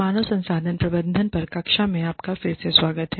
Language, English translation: Hindi, Welcome back, to the class on, human resources management